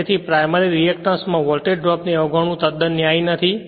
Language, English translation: Gujarati, And so ignoring the voltage drop in primary reactance is not quite justified right